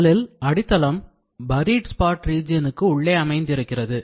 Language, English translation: Tamil, The substrate was initially located within the buried spot region